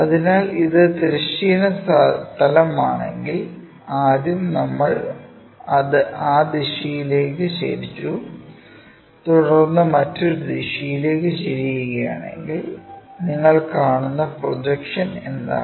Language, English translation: Malayalam, So, if this is the horizontal plane, first we have tilted it in that direction then we want to tilt it in that direction